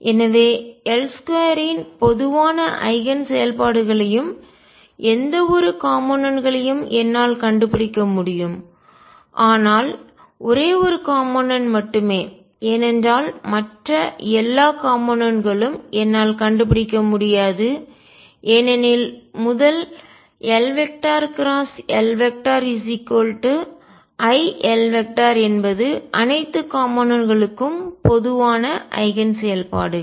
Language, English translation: Tamil, So, I can find common eigen functions of L square and any component, but only one component because all other components I cannot find it because of the first L cross L equals i L the common eigen functions for all components